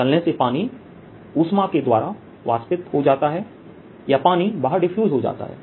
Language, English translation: Hindi, frying water evaporates or water diffuses is out because of the heat